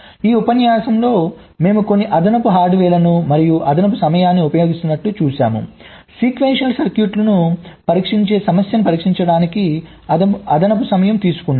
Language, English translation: Telugu, so in this lecture we have seen that we are using some additional hardware and also additional time, significantly additional time, to address the problem of testing sequential circuits